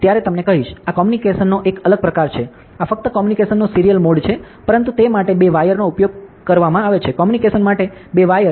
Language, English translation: Gujarati, So, this is a different mode of communication, this is also serial mode of communication only; but it uses 2 wires, for the 2 wires for communication